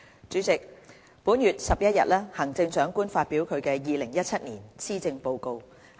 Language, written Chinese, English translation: Cantonese, 主席，本月11日，行政長官發表2017年施政報告。, President on the 11 of this month the Chief Executive delivered The Chief Executives 2017 Policy Address